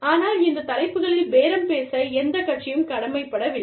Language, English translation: Tamil, But, neither party is obliged, to bargain on, these topics